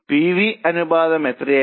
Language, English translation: Malayalam, What was the PV ratio